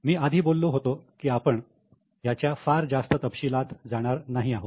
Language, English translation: Marathi, As I told you, we are not going into too much details